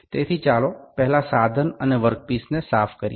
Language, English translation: Gujarati, So, let us first clean the instrument and the work piece